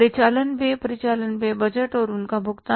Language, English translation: Hindi, Operating expenses, operating expenses budget and their payment